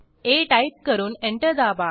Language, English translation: Marathi, Type a and press Enter